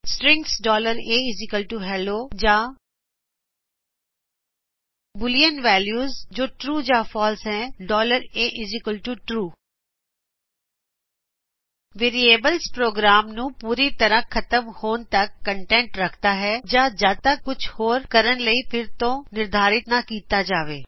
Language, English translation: Punjabi, strings $a=hello or boolean values that is true or false $a=true Variable keeps the content until program finishes execution or until it is reassigned to something else